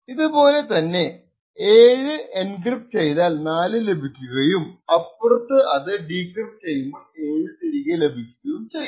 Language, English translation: Malayalam, In a similar way by taking the input 7 encrypting it with a specific key and obtaining 4 and at the other end when we have 4 we decrypt it with the same key to obtain back the 7